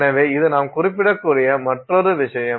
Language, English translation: Tamil, That is another thing that you can specify